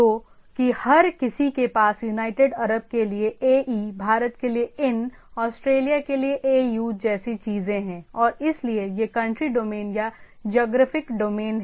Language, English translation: Hindi, So, that everybody has a things like ‘ae’ for United Arabs, ‘in’ for India, ‘au’ for Australia and so, these are the country domain or the geographical domain